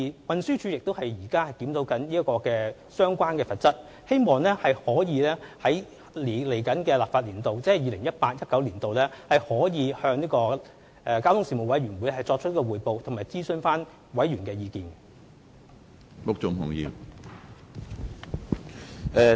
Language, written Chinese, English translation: Cantonese, 運輸署現正檢討相關罰則，希望可以在下一個立法年度，即 2018-2019 年度，向交通事務委員會作出匯報及徵詢委員的意見。, TD is currently reviewing the penalties for the relevant offences and is expected to report to the Panel on Transport and consult Members views in the next legislative session ie . 2018 - 2019